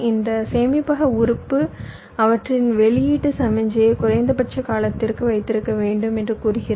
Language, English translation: Tamil, see, it says that this storage element will have to hold their output signal for a minimum period of time